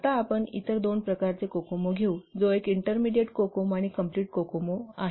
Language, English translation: Marathi, Now let's take about other two types of cocoa, that is intermediate cocomo and complete cocoa